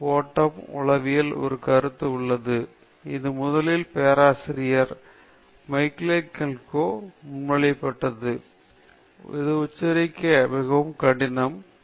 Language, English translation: Tamil, Flow is a concept in psychology; this was first proposed by Professor Mihaly Csikszentmihalyi; Professor Mihaly Csikszentmihalyi very difficult name to pronounce